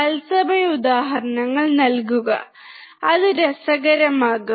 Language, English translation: Malayalam, Give live examples, and it becomes interesting